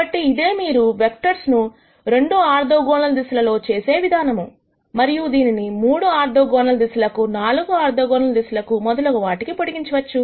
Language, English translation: Telugu, So, this is how you project a vector on to 2 orthogonal directions, and this can be extended to 3 orthogonal directions 4 orthogonal directions and so on